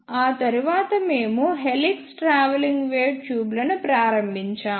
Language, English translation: Telugu, After that we started helix travelling wave tubes